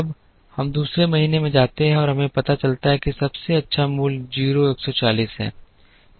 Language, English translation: Hindi, Now, we move to the second month and we realize that the best value is 0 140